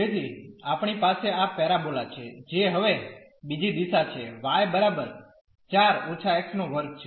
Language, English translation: Gujarati, So, we have this parabola which is other direction now y is equal to 4 minus x square